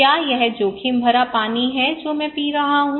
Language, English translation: Hindi, Is it risky is the water I am drinking is it really risky